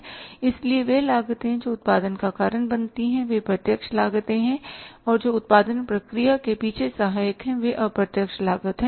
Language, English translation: Hindi, So, those costs which cause the production, they are direct costs which are supportive behind the production process they are indirect cost